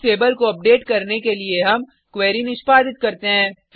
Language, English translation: Hindi, We execute the query to update in the Books table